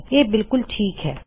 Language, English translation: Punjabi, Its absolutely fine